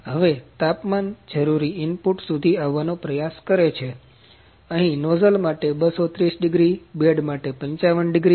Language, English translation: Gujarati, So, the temperature is kind of trying to come to this desired input here to 230 degrees for the nozzle, 55 degrees for the bed